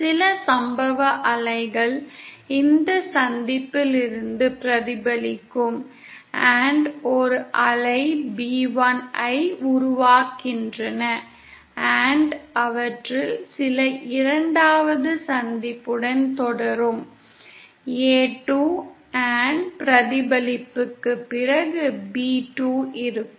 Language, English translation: Tamil, Some of the incident wave will be reflected from this junction & say produce a wave b1 & some of them will continue with second junction say a2 & after reflection will be b2